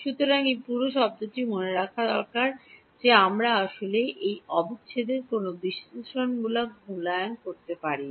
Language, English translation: Bengali, So, this whole term is remember that we cannot actually do any analytically evaluation of this integral